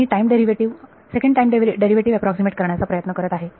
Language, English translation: Marathi, I am trying to approximate the time derivative second time derivative